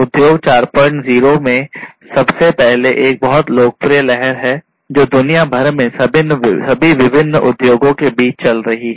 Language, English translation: Hindi, 0, first of all is a very popular wave that is going on worldwide among all different industries